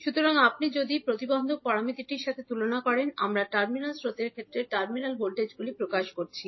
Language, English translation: Bengali, So, if you compare with the impedance parameter, where we are expressing the terminal voltages in terms of terminal currents